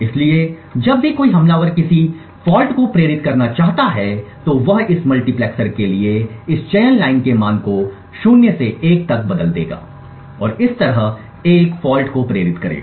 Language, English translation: Hindi, So whenever an attacker wants to induce a fault he would change the value of this select line for this multiplexer from 0 to 1 and thereby inducing a fault